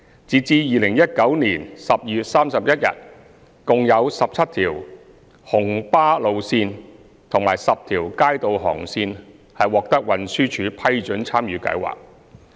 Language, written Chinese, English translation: Cantonese, 截至2019年12月31日，共有17條紅巴路線及10條街渡航線獲運輸署批准參與計劃。, As at 31 December 2019 TD already approved a total of 17 RMB routes and 10 Kaito routes for joining the Scheme